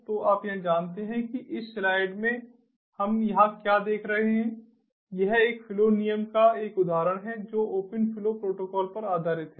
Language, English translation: Hindi, so you know here, what we see over here in this slide is an example of a flow rule that is based on the open flow protocol